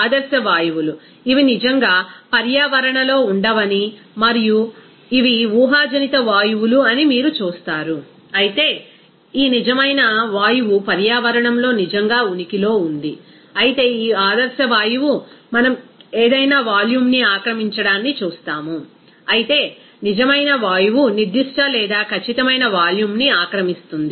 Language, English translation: Telugu, In ideal gases, you will see that it will not actually really exist in environment and is a hypothetical gas, whereas this real gas does really exist in the environment, whereas as this ideal gas we will see that occupy any volume, whereas real gas will occupy certain or definite volume